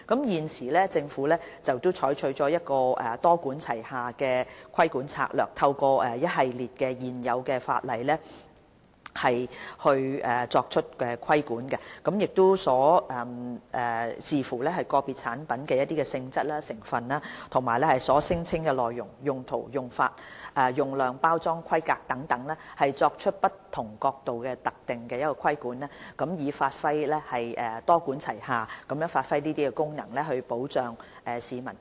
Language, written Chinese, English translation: Cantonese, 現時，政府採取一個多管齊下的規管策略，透過一系列現有的法例作出規管，視乎個別產品的性質、成分、所聲稱的內容、用途、用法、用量、包裝規格等，從不同角度作出特定的規管，多管齊下地發揮功能，保障市民。, The Government now adopts a multi - pronged regulatory strategy to exercise regulation through a series of existing law and depending on the nature ingredients the claimed contents functions uses dosage package and so on of individual products to exercise specific regulation from different perspectives with a view to performing the function of regulation in a multi - pronged manner for protection of public health